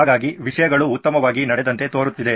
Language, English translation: Kannada, So it looks like things went well